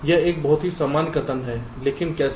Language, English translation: Hindi, this is a very general statement